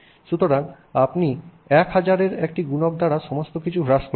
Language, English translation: Bengali, So, let's say you are reducing everything by a factor of 1,000